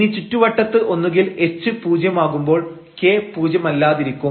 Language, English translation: Malayalam, So, you are letting at k to 0 and the h non zero